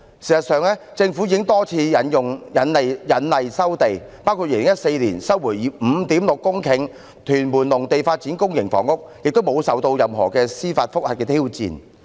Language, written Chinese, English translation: Cantonese, 事實上，政府已多次引例收地，包括在2014年收回 5.6 公頃屯門農地以發展公營房屋，並無受到任何司法覆核的挑戰。, As a matter of fact the Government has invoked the Ordinance to resume land quite a number of times including the resumption of 5.6 hectares of agricultural land in Tuen Mun in 2014 for developing public housing . It was not challenged by any judicial review